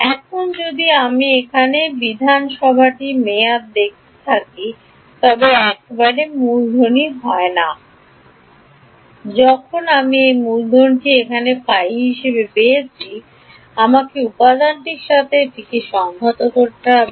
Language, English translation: Bengali, Now if I look back at the assembly term over here, it is not just capital once I get this capital phi over here I have to integrate it over an element